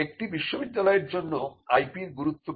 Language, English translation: Bengali, Now, what is the importance of IP for universities